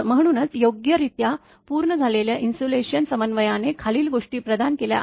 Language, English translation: Marathi, So, therefore a properly done insulation coordination provides the following